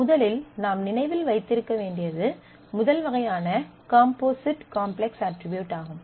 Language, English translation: Tamil, The first you remember that, the first kind of complex attribute is one which is composite